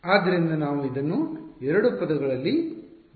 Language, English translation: Kannada, So, we can write it in either terms